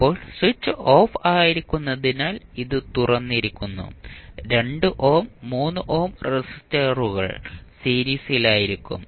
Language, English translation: Malayalam, Now, when switch is off means it is opened the 2 ohm and 3 ohm resistances would be in series